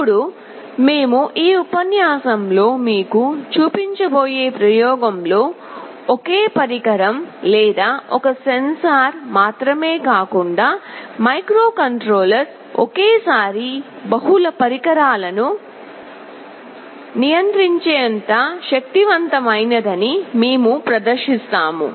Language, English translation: Telugu, Now in the experiment that we shall be showing you in this lecture, we shall demonstrate that not only one device or one sensor, the microcontroller is powerful enough to control multiple devices at the same time